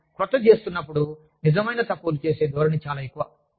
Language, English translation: Telugu, When we are doing, something new, the tendency to make genuine mistakes, is very high